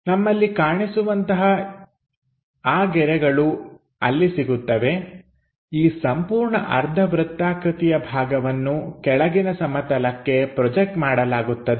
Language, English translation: Kannada, So, we have those lines visible there, this entire semi circular portion projected onto the bottom plane